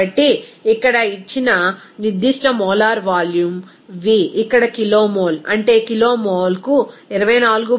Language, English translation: Telugu, So, specific molar volume that here given, v here that is kilomole that is 24